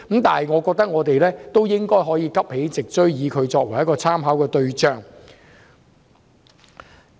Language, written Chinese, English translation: Cantonese, 但是，我認為香港應該有能力急起直追，視英國作為參考對象。, By learning from the United Kingdoms experience however I think Hong Kong should be able to catch up